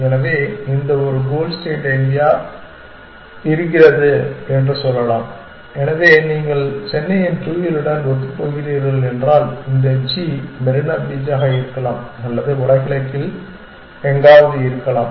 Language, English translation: Tamil, So, let us say this is a goal state somewhere, so if you are consistent with the geography of Chennai, then this g could be may be Marina beach or something like that somewhere in the north east